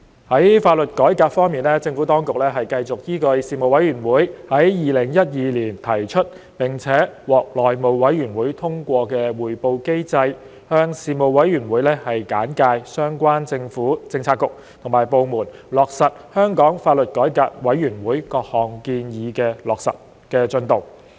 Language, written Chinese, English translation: Cantonese, 在法律改革方面，政府當局繼續依據事務委員會於2012年提出並獲內務委員會通過的匯報機制，向事務委員會簡介相關政府政策局及部門落實香港法律改革委員會各項建議的進度。, With regard to law reform the Administration continued to brief the Panel on the progress of implementation of the recommendations made by the Law Reform Commission of Hong Kong LRC by the relevant government bureaux and departments according to the reporting mechanism proposed by the Panel and endorsed by the House Committee in 2012